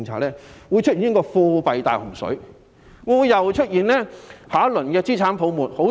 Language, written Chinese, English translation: Cantonese, 這樣引致貨幣"大洪水"，會否激發下一輪資產泡沫？, It will cause a great flood of currency and will it give rise to another round of asset bubbles?